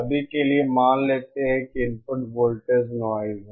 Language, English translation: Hindi, For now let us assume that input voltage is noise